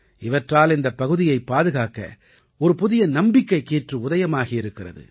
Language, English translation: Tamil, Through this now a new confidence has arisen in saving this area